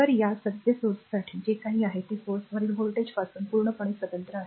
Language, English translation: Marathi, So, this for this current source whatever it is there is completely independent of the voltage across the source right